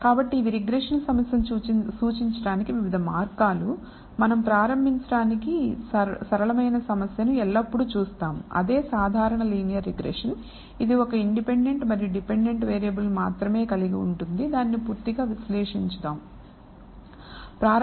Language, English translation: Telugu, So, these are various ways of denoting the regression problem, we will always look at the simplest problem to start with which is the simple linear regression, which consists of only one independent one dependent variable and analyze it thoroughly